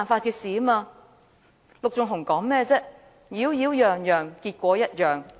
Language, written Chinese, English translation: Cantonese, 陸頌雄議員剛才說甚麼"擾擾攘攘，結果一樣"。, Mr LUK Chung - hung has just said something like After much ado the result is just the same